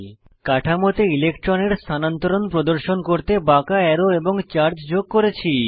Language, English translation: Bengali, I had added curved arrows and charges to show electron shifts within the structures